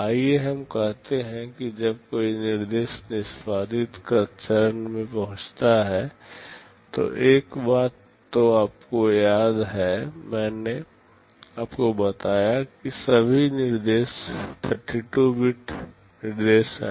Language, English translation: Hindi, Let us say when an instruction reaches the execute phase, one thing you remember I told you all instructions are 32 bit instructions